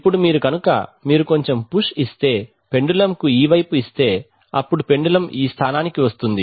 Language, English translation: Telugu, Now if you, if there is if you given a little push, if you give it a little push, let us say this side then the pendulum will come to this position